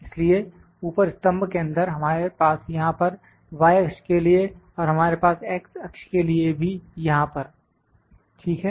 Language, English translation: Hindi, So, they inside the column above we have for y axis here we have for y axis and also we have for x axis as well here, ok